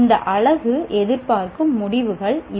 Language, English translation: Tamil, These are the expected outcomes of this unit